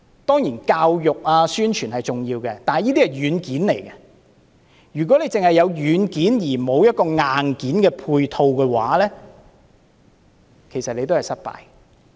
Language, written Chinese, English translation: Cantonese, 當然，教育和宣傳是重要的，但這些只是軟件，如果只有軟件而沒有硬件配套，其實都是失敗的。, Doubtlessly both education and publicity are important but they are only the software . If there is only software without supporting hardware it will still be doomed to failure